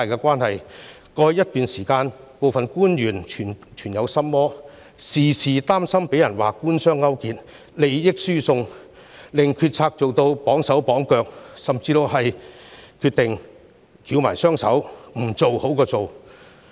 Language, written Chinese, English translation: Cantonese, 過去一段時間，部分官員存有心魔，時常擔心被指官商勾結，利益輸送，令決策行事"綁手綁腳"，甚至寧願"翹埋雙手"，甚麼都不做。, In the past period of time some officials were deterred by the accusation of collusion with the business sector and transfer of benefits so they had their own hands and feet tied and could not make decisions and take actions freely . Some even just sat on their hands and did nothing